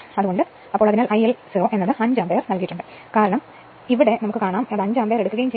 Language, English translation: Malayalam, So, I L 0 is given 5 ampere it is given, because here it is given your what you call on no load and takes 5 ampere right